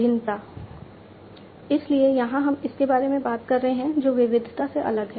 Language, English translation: Hindi, Variability, so here we are talking about it is different from variety